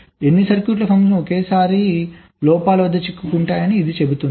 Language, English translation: Telugu, this says that any number of circuits, lines, can have such stuck at faults at a time